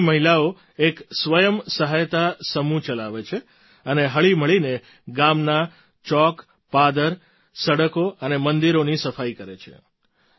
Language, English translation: Gujarati, The women here run a selfhelp group and work together to clean the village squares, roads and temples